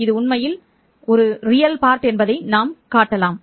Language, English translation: Tamil, You can show that this is indeed true